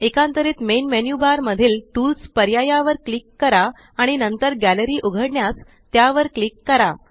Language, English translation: Marathi, Alternately, click on Tools option in the menu bar and then click on Gallery to open it